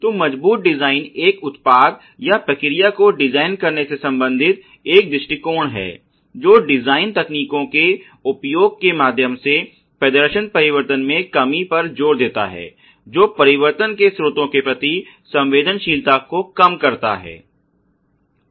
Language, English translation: Hindi, So, robust design is an approach concerned with designing a product or process that emphasizes the reduction in performance variation through the use of design techniques that reduce sensitivity to sources of the variation